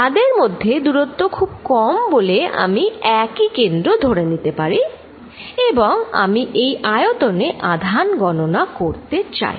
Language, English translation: Bengali, Because, the distance between them is very small I can take almost a common centre and I want to calculate the charge in this volume